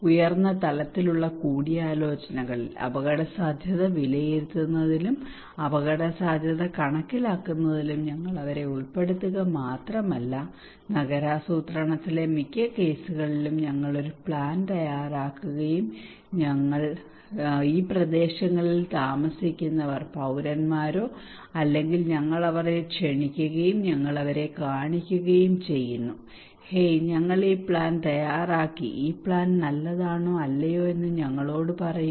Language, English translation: Malayalam, In little higher level value consultations we not only involve them in assessing the risk, estimating the risk but we prepare a plan most of the cases in urban planning we prepare the plan and then those who are living in this areas those who are the citizens or the stakeholders we invite them, and we show them, hey we prepared this plan now tell us this plan is good or not